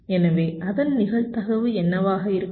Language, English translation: Tamil, so what will be the probability of that